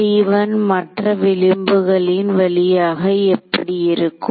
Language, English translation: Tamil, What about T 1 along the other edges